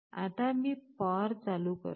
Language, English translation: Marathi, Now, I switch on the power